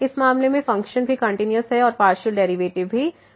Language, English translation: Hindi, In this case function is also continuous and partial derivatives also exist